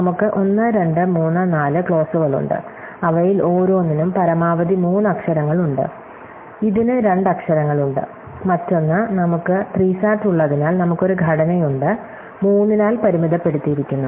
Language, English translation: Malayalam, So, we have , , , clauses and each of them as at most three literal, so this one has two literal, so other one that theÉ So, since we have SAT, then we have a structure which is bounded by three